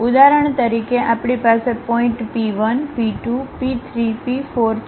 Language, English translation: Gujarati, For example, we have point P 1, P 2, P 3, P 4